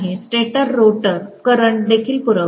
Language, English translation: Marathi, Stator is also supplying the rotor current